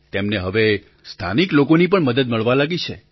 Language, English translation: Gujarati, They are being helped by local people now